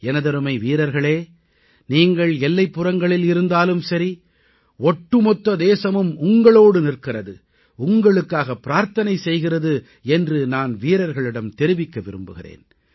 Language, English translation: Tamil, I would also like to assure our brave soldiers that despite they being away at the borders, the entire country is with them, wishing well for them